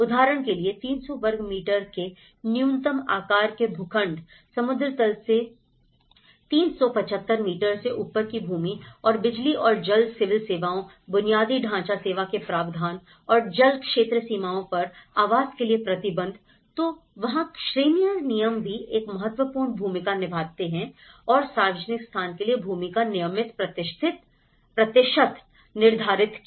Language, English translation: Hindi, For instance, the minimum size plots of 300 square meters, the land over 375 meters above sea level and electricity and water civil services, the infrastructure service provisions and restriction for housing on watercourses boundaries, so that is where the zonal regulations also plays an important role and the percentage of land for a public place okay